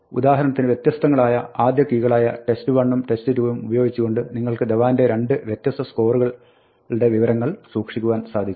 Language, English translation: Malayalam, With the same first key for example, with the same different first key for example, test 1 and test 2; you could keep track of two different scores for Dhawan